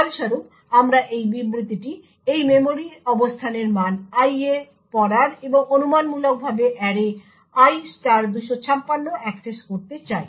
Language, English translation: Bengali, As a result we would have this statement reading the value of this memory location into i and speculatively accessing array[i * 256]